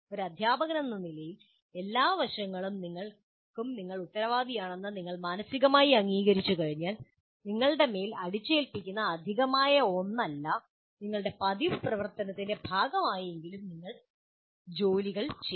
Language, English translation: Malayalam, So once you mentally accept that as a teacher you are responsible for all aspects, then you will at least do all this work, at least as a part of your normal activity, not something that is extra that is imposed on you